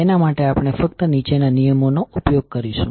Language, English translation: Gujarati, We will simply use the following rules